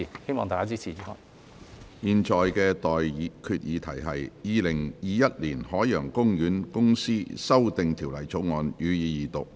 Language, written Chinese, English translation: Cantonese, 我現在向各位提出的待決議題是：《2021年海洋公園公司條例草案》，予以二讀。, I now put the question to you and that is That the Ocean Park Corporation Amendment Bill 2021 be read the Second time